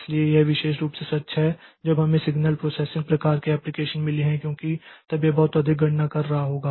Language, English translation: Hindi, So, this is particularly true when we have got signal processing type of applications because then the it will be doing lot of computation